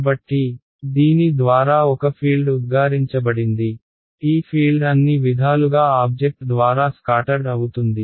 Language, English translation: Telugu, So, that there is a field is emitted by this guy this field is going to get scattered by the object in all possible ways right